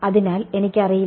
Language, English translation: Malayalam, So, I do not know J